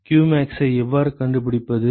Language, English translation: Tamil, How do I find qmax